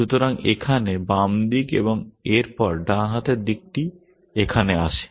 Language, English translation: Bengali, So, here on the left hand side followed by the right hand side here